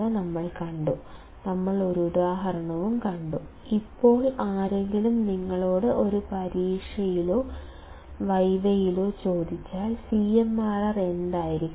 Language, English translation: Malayalam, We have seen an example; now if somebody asks you in an exam or in a viva; that what should the CMRR be